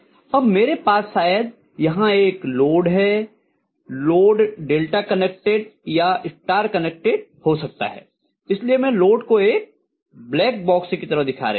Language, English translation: Hindi, Now I am going to have probably a load here, the load can be delta connected or star connected, so I am showing the load just like a black box